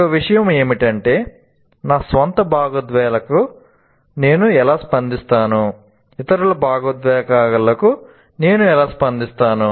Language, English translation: Telugu, And so one of the thing is how do I respond to my own emotions and how do I respond to the others emotions